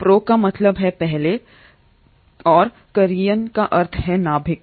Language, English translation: Hindi, Pro means before, and karyon means nucleus